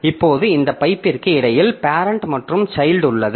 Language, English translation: Tamil, Now between this pipe this pipe is between the parent and child